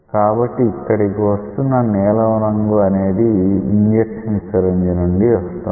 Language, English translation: Telugu, So, the blue color dye is coming here through an injection syringe